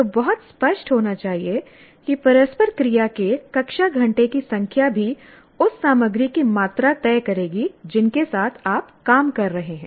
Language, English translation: Hindi, And the, as I said, the number of classroom hours of interaction will also decide the amount of content that you are dealing with